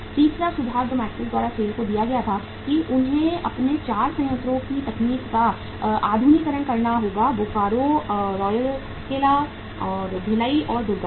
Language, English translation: Hindi, Third suggestion which was given by the McKenzie to the SAIL was that they have to modernize the technology of their 4 plants; Bokaro, Rourkela, Bhilai, and Durgapur